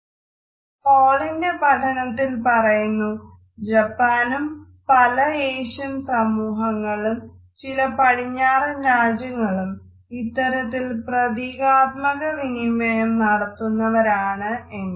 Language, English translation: Malayalam, In Hall’s studies he has commented that Japan as well as several Asian societies and certain Western countries are also under this group of symbolic cultures